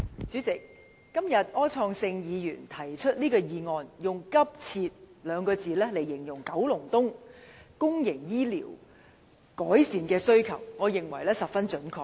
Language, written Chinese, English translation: Cantonese, 主席，今天柯創盛議員提出一項議案，用"急切"兩個字來形容九龍東公營醫療服務的改善，我認為十分準確。, President today Mr Wilson OR has proposed a motion which describes the improvement of public healthcare services in Kowloon East as urgent